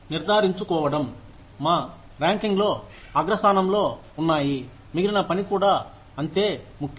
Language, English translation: Telugu, Making sure, our rankings are on top, is just as important as, the rest of the work is